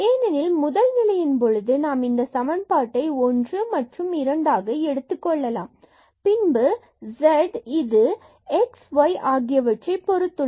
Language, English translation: Tamil, Because in this first case when we are taking equation number 1 and equation number 2 then this z depends on x and y, but the x and y again depends on t